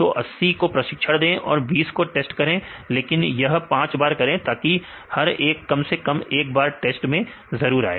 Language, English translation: Hindi, So, 80 you train and 20 you test, but do it for five times so that each one will be at least one time in the test